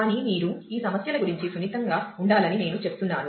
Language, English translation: Telugu, But I just want that you to be sensitive about these issues